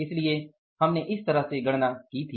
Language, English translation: Hindi, So we have calculated this way